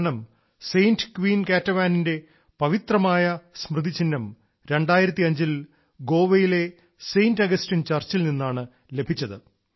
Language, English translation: Malayalam, This is because these holy relics of Saint Queen Ketevan were found in 2005 from Saint Augustine Church in Goa